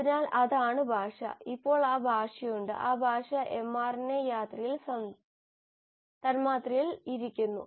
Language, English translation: Malayalam, So that is the language, and now that language is there in that language is sitting on the mRNA molecule